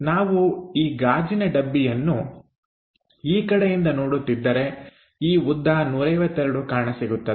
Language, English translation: Kannada, So, if we are looking in this direction for the glass box, this dimension 152 will be visible